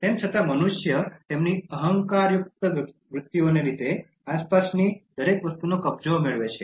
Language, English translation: Gujarati, However, human beings, owing to their egoistic tendencies seek possession of everything surrounding them